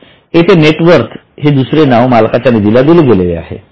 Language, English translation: Marathi, That net worth is another name given to owner's fund